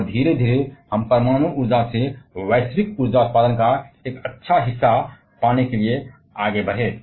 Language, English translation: Hindi, And gradually we moved on to get a good share of the global energy production from the nuclear energy